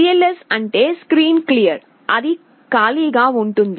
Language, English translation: Telugu, cls means clear the screen, it is made blank